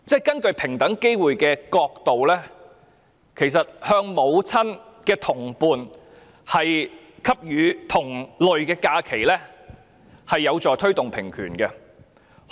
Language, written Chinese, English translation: Cantonese, 根據平機會的角度，向母親的同伴給予同類假期，其實是有助推動平權的。, From the perspective of EOC it would advance equality in general if similar leave could be given to the same - sex partner of the mother